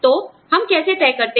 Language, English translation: Hindi, So, how do we decide